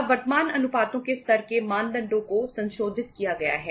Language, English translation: Hindi, Now the level of current ratios this norms have been revised